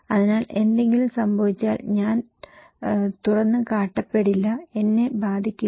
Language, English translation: Malayalam, So, if something happened, I will not be exposed, I will not be impacted okay